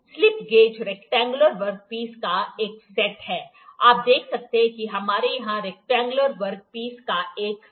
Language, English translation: Hindi, Slip gauges is a set of the rectangular work pieces, you can see we have a set of rectangular work pieces here